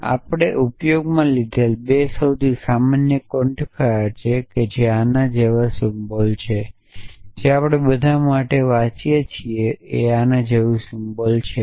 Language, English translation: Gujarati, And the 2 most common quantifiers that we use are symbol like this which we read as for all and a symbol like this which we read as there exists